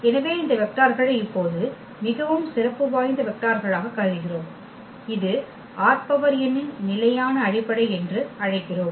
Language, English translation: Tamil, So, we consider these vectors now very special vector which we call the standard basis of R n